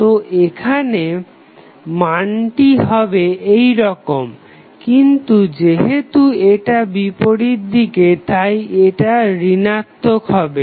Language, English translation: Bengali, So, here the magnitude would be like this, but, since it is in the opposite direction it will become negative